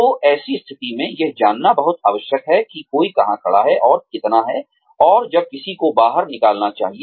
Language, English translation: Hindi, So, in such a situation, it is very essential to know, where one stands, and how much, and when one should move out